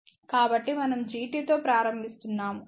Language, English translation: Telugu, So, that is why we are starting with the G t ok